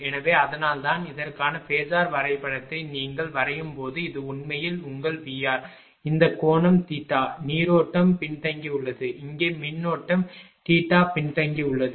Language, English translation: Tamil, So, that is why; when you draw the phasor diagram for this one this is actually your ah V R; this angle is theta the current is lagging here current is lagging theta